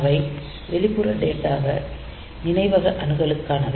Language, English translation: Tamil, So, they are for external data memory access for external data memory access